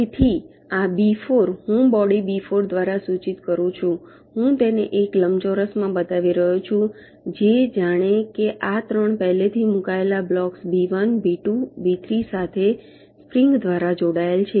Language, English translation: Gujarati, ok, so this b four, i am denoting by a body, b four, i am showing it in a rectangle which, as if is connected by springs to these three already placed blocks: b one, b two, b three